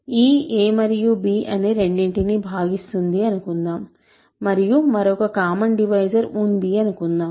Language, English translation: Telugu, If e divides both a and b, so if there is some other common divisor